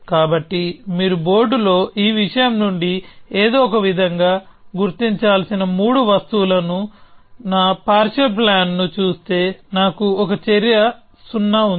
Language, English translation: Telugu, So, if you look at my partial plan of three objects which you have to somehow figure out from this stuff on the board, I have one action a 0